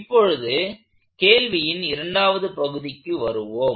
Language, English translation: Tamil, So, let us come to the last part of this question